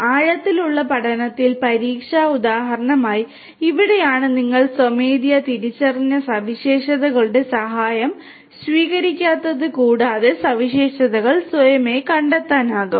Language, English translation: Malayalam, In deep learning, for exam example this is where you do not take help of any manually identified features and automatically the features are going to be found out on their own right